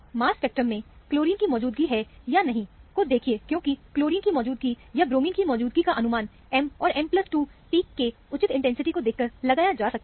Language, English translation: Hindi, In the mass spec, look for the presence, or absence of chlorine, because in the presence of chlorine, or presence of bromine can be inferred by their appearance of M and M plus 2 peak with appropriate intensities